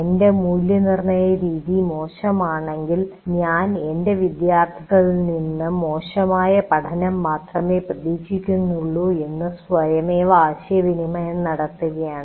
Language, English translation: Malayalam, If I have a very poor assessment, automatically it communicates that I am expecting only poor learning from the students